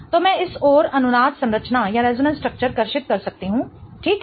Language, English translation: Hindi, So, I can draw one resonance structure on this side as well